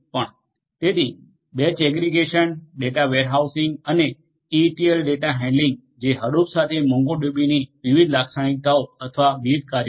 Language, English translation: Gujarati, So, batch aggregation data warehousing and ETL data handling these are the different characteristics of or the different functionalities of the MongoDB along with Hadoop